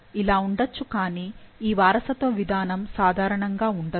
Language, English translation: Telugu, So, it can be, but this mode of inheritance is uncommon